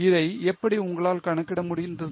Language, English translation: Tamil, How are you able to calculate it